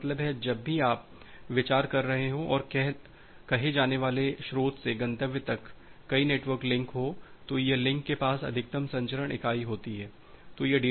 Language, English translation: Hindi, That means, whenever you are considering and net multiple network link from say source to destination, this links have a maximum transmission unit